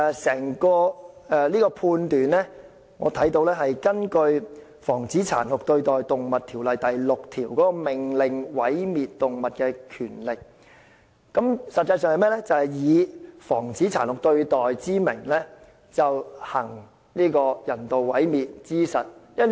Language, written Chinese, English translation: Cantonese, 這個判斷是根據《防止殘酷對待動物條例》第6條"命令毀滅動物的權力"，以"防止殘酷對待"之名，行人道毀滅之實。, The decision to euthanize the animal is based on the power to order destruction of animals under section 6 of the Prevention of Cruelty to Animals Ordinance . The animal will in fact be euthanized in the name of prevention of cruelty to animals